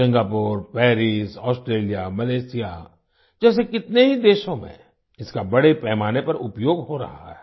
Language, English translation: Hindi, It is being used extensively in many countries like Singapore, Paris, Australia, Malaysia